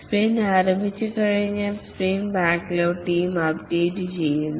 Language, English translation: Malayalam, Once the sprint starts, the sprint backlog is updated only by the team